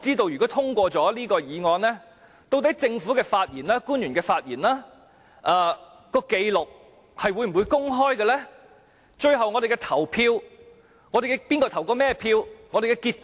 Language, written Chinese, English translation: Cantonese, 如果通過這項議案，我不知道日後會否公開政府官員的發言紀錄，以及會否公開哪位議員最後投甚麼票和投票結果？, If the motion is passed I do not know whether the speeches of public officers will be made public and whether the voting of each Member and the voting results will be announced publicly